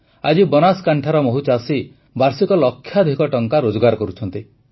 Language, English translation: Odia, Today, farmers of Banaskantha are earning lakhs of rupees annually through honey